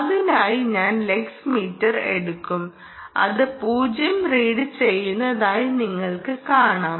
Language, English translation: Malayalam, i will pull out this lux meter and you will see that right now it is reading zero